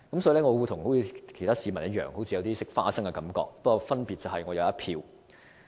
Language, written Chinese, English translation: Cantonese, 所以，我像其他市民一樣，有種"食花生"的感覺，但分別是我有一票。, Hence like other members of the public I have a feeling that I am watching on the sidelines; the only difference is that I have a vote